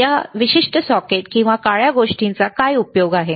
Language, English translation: Marathi, What is a use for this particular socket or black thing